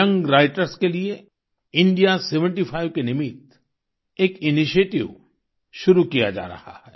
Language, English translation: Hindi, An initiative has been taken for Young Writers for the purpose of India SeventyFive